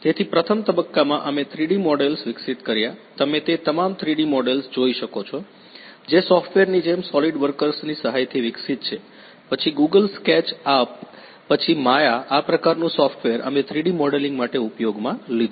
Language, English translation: Gujarati, So, in the first phase we developed the 3D models, you can see all the 3D models that is developed with the help of the software’s like solidworks, then Google sketch up, then Maya this kind of software we used for the 3D modelling